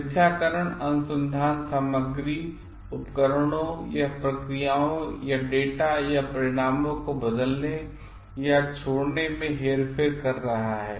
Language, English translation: Hindi, Falsification is manipulating research materials equipments or processes or changing or omitting data or results